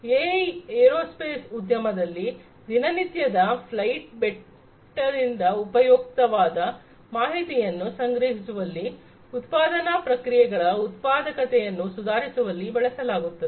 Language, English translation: Kannada, AI in the aerospace industry extracting useful data from every day of flight, improving productivity of manufacturing processes